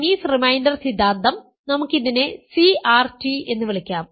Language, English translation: Malayalam, Chinese reminder theorem, let us call this CRT